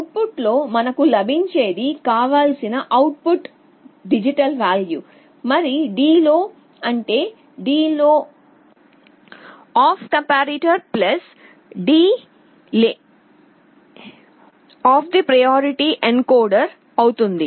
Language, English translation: Telugu, What we get in the output will be the required output digital value, , the delay will be the delay of a comparator plus delay of the priority encoder